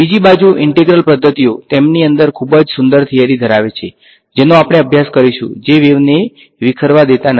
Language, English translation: Gujarati, On the other hand, integral methods have a very beautiful theory within them which we will study which do not allow the wave to disperse